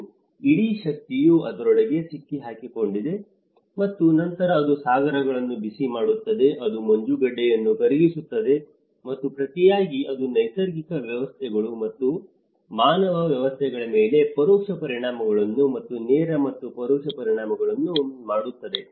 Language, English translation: Kannada, And the whole energy is trapped inside this and then it is warming of the oceans, it is melting the ice, and in turn it is giving an indirect consequences and direct and indirect consequences on a natural systems and also the human systems